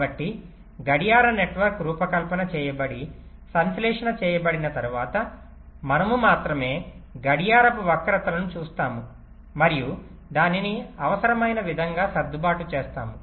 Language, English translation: Telugu, so once the clock network is being designed, synthesized, then only we shall look at the clock skews and adjusted it as required